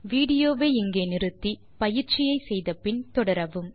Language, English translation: Tamil, Pause the video here and do this exercise and then resume the video